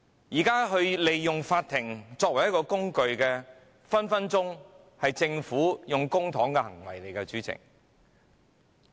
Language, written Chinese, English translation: Cantonese, 至於利用法庭作為工具，這隨時是政府花費公帑的行為，主席......, As for using the Court as a tool this is just the Governments way of spending public money . President